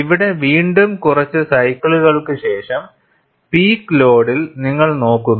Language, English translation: Malayalam, Here again, you look at, after few cycles, at the peak load